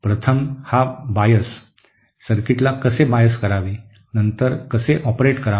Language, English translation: Marathi, First was this bias, how to bias a circuit, then how to operate